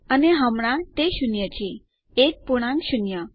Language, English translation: Gujarati, And right now its zero the integer zero